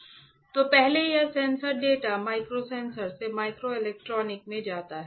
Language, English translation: Hindi, So, first this sensor the data goes from the microsensors to microelectronics from microelectronics